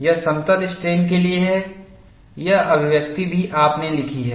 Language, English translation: Hindi, This is for plane strain, this expression also have written